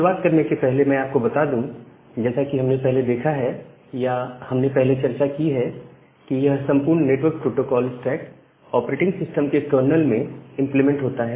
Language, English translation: Hindi, So, to start with as we have seen earlier or we have also discussed earlier that this entire network protocol stack is implemented inside the kernel of the operating system